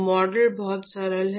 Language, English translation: Hindi, So, the model is very simple